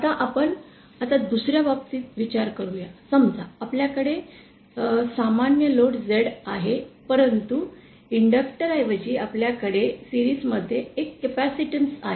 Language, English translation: Marathi, Now see now consider the other case, suppose we have the same load Z but now instead of the inductor, we have a capacitance in series